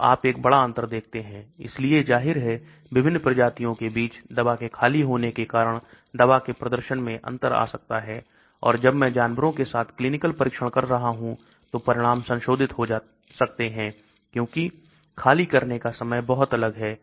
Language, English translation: Hindi, So you see a large difference, so obviously there could be differences in the performance of drug because of the emptying of the drug between various species and when I am doing a clinical trial with animals, the results can get modified because the emptying times are also very different